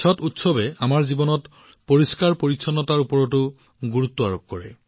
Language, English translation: Assamese, The festival of Chhath also emphasizes on the importance of cleanliness in our lives